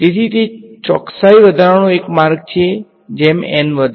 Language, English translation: Gujarati, So, that is one way of increasing the accuracy increase N